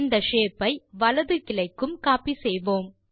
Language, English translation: Tamil, We shall copy this shape to the right branch of the tree, also